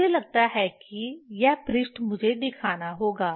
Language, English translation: Hindi, I think this page I have to show